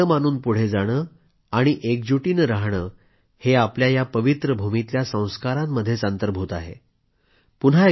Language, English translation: Marathi, Considering everyone as its own and living with the spirit of togetherness is embedded in the ethos of this holy land